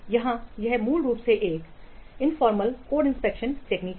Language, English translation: Hindi, This is basically an informal code analysis technique